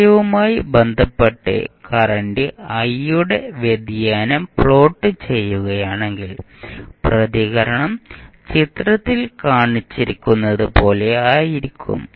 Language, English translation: Malayalam, If you plot the variation of current I with respect to time t the response would be like shown in the figure